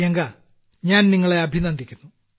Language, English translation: Malayalam, Well, Priyanka, congratulations from my side